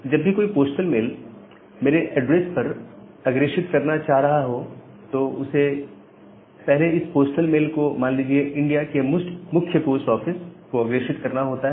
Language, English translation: Hindi, So, whenever someone is wanting to forward a postal mail to my address, they have to fast forward it to the say head post office of India